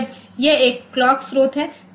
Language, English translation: Hindi, So, when it is a clock source